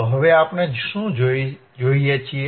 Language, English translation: Gujarati, So, now, you what we see